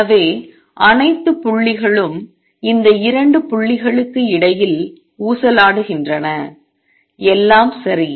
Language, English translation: Tamil, So, all the points oscillate between these 2 points; all right